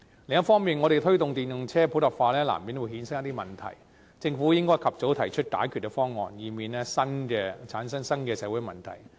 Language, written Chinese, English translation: Cantonese, 另一方面，我們推動電動車普及化難免會衍生出一些問題，政府應及早提出解決方案，以免產生新的社會問題。, On the other hand some problems will inevitably be generated when we promote the popularization of EVs the Government should promptly propose solutions to avoid creating new social problems